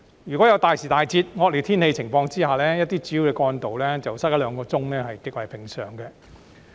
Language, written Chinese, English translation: Cantonese, 一旦大時大節、惡劣天氣情況下，一些主要幹道擠塞一兩小時是極為平常。, During rush hours when students and workers are going to or returning from school or work congestion on major trunk roads is a common occurrence